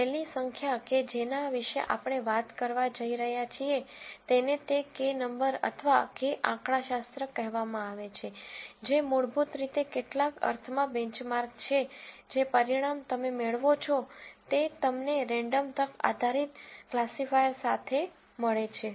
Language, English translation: Gujarati, The last number that we are going to talk about is what is called a Kappa number or Kappa statistic, which basically in some sense benchmarks whatever result you get with a random chance based classifier